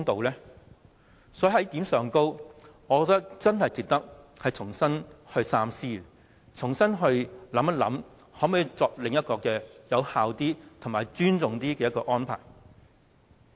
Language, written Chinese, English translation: Cantonese, 就此一點，我認為很值得你三思，重新考慮可否另作一個更有效、更尊重議會的安排。, Is it fair? . I think you should think twice on this point . You should reconsider whether another arrangement can be made that is more effective and shows more respect to this Council